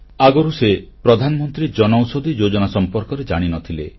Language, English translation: Odia, Earlier, he wasn't aware of the Pradhan Mantri Jan Aushadhi Yojana